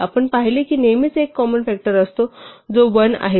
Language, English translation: Marathi, We observed that there will always be at least one common factor namely 1